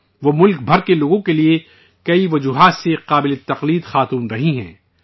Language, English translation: Urdu, She has been an inspiring force for people across the country for many reasons